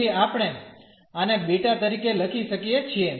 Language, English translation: Gujarati, So, we can write down this as the beta